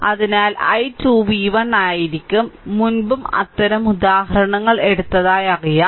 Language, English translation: Malayalam, So, i 2 will be v 1 minus I previously also couple of such example are known we have taken